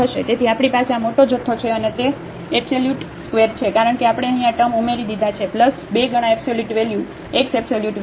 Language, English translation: Gujarati, So, we have this bigger quantity and that is whole square because we have added this term here plus 2 times absolute value x absolute value of y